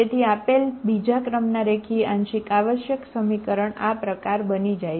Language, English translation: Gujarati, second order linear partial differential equation